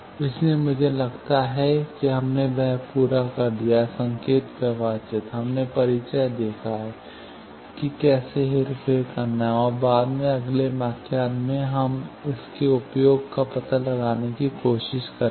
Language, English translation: Hindi, So, I think, we have completed that, signal flow graph, we have seen the introduction, how to manipulate that, and later, in the next lecture, we will try to find out its application